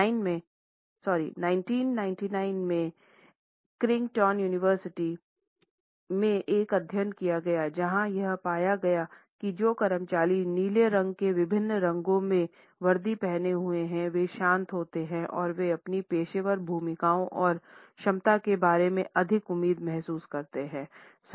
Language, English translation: Hindi, A study of Creighton University conducted in 1999 found that employees who were wearing uniforms in different shades of blue felt calm and they also felt more hopeful about their professional roles and competence